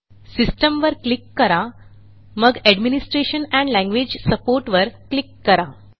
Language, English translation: Marathi, Click on System, Administration and Language support